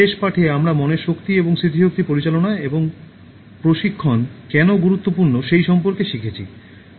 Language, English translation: Bengali, In the last lesson, we learnt about the power of mind and why it is important to manage and train memory